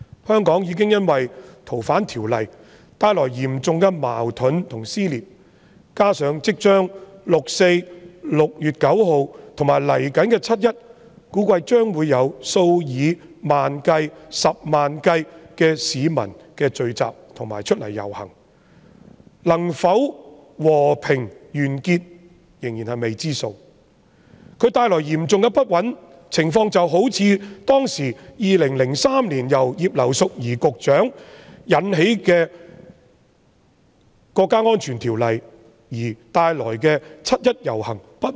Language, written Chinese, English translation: Cantonese, 香港已經因為修訂《逃犯條例》而出現嚴重的矛盾和撕裂，加上六四將至、6月9日及接下來的七一，估計將會有數以萬計、十萬計的市民聚集和上街遊行，能否和平結束仍屬未知之數，所帶來的嚴重不穩定因素，情況好比2003年前局長葉劉淑儀提出《國家安全條例草案》而導致的七一遊行一樣。, The amendment of FOO has already led to serious contradictions and dissension in Hong Kong and 4 June is coming soon . It is estimated that tens of thousands hundreds of thousands of people will gather and take to the streets on 9 June and 1 July subsequently and whether the processions will end up peacefully is still an unknown bringing about an unstable factor which is as serious as the situation of the procession on 1 July caused by the introduction of the National Security Bill by former Secretary Regina IP in 2003